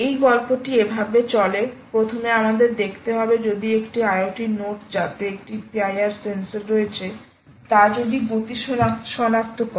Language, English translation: Bengali, the demonstration goes like this: first is to see if one i o t node, ok, which has a sensor called a p i r sensor, actually detects a, a motion